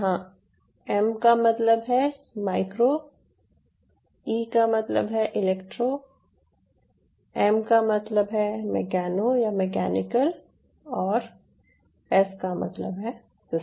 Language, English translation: Hindi, ok, where m stands for micro e stands for electro, m stand for meccano, or mechanical s stand for systems, micro electromechanical systems, bio